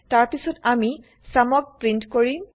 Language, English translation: Assamese, Then we print the sum